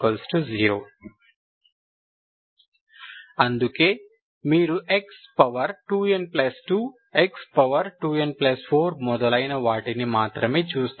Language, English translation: Telugu, That is why you will only look at x 2 n plus 2, x 2 n plus 4 and so on